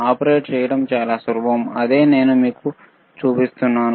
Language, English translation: Telugu, It is very easy to operate, that is what I am I am showing it to you